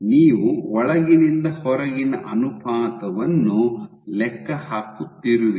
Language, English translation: Kannada, So, you are calculating the inside to outside ratio